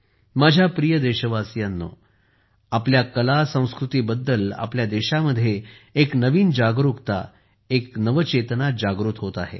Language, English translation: Marathi, My dear countrymen, a new awareness is dawning in our country about our art and culture, a new consciousness is awakening